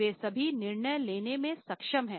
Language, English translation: Hindi, They are able to take all the decisions